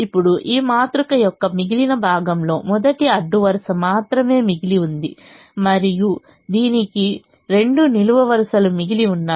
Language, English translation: Telugu, now the remaining part of this matrix has only the first row remaining, only the first row remaining, and it has two columns remaining